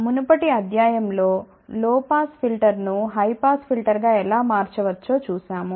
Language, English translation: Telugu, In the previous lecture we had seen how low pass filter can be transformed to high pass filter